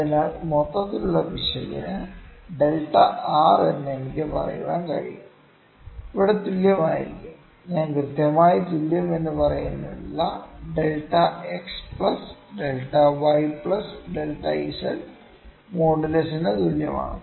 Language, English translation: Malayalam, So, I can say delta r for the overall error, here would be equivalent to I am not putting equal to it is equivalent to delta x plus delta y plus delta z modulus